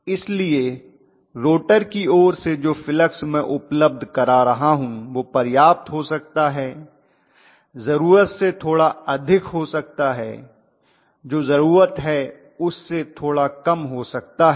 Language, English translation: Hindi, So the flux what I am providing from the rotor side can be just sufficient it can be a little more than what is needed it can be a little less than what is needed